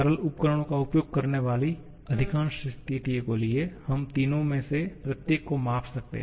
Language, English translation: Hindi, For most of the situations using simple instruments, we can measure each of the three